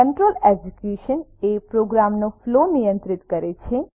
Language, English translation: Gujarati, Control execution is controlling the flow of a program